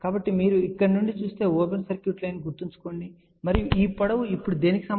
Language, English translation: Telugu, So, remember open circuit line if you look from here and since this length will be now, equal to what